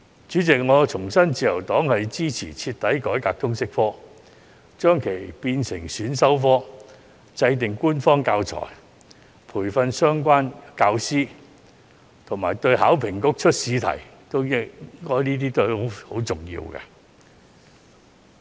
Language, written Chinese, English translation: Cantonese, 主席，我重申自由黨支持徹底改革通識科，將其列為選修科，制訂官方教材及培訓相關教師，這些對於香港考試及評核局擬出試題均十分重要。, President I reiterate that the Liberal Party supports thoroughly reforming the subject of LS; listing LS as an elective subject; producing official teaching materials and providing training for the teachers concerned . All these are vital to the setting of examination questions by the Hong Kong Examinations and Assessment Authority